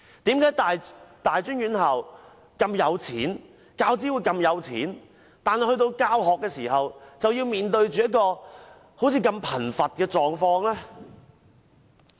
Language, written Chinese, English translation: Cantonese, 為何大專院校和教資會那麼富有，但在教學上卻要讓講師面對如此貧乏的境況呢？, Tertiary institutions and UGC are so rich but when it comes to education why do they have to impoverish lecturers to such an extent?